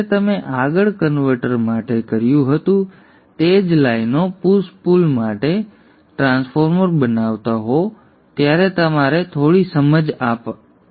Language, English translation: Gujarati, And this would give you some insight when you are making the push pull transformer along similar lines which you did for the forward converter